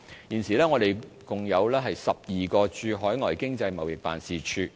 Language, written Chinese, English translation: Cantonese, 現時我們共有12個駐海外經濟貿易辦事處。, At present we have a total of 12 overseas Economic and Trade Offices ETOs